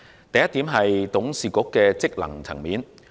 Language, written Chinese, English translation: Cantonese, 第一，董事局的職能。, First the function of the board of directors